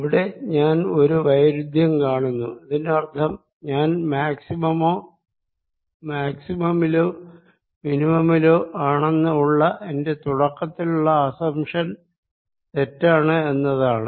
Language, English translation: Malayalam, and if i am in a contradictory stage that means my initial assumption that either i am at maximum or minimum is wrong